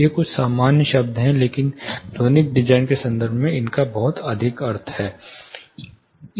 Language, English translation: Hindi, These are certain common you know terms, but they have lot of meaning in terms of acoustical design